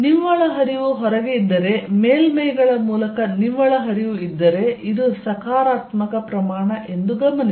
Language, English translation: Kannada, If there is a net flow outside, if there is a net flow through the surfaces, notice that this is positive quantity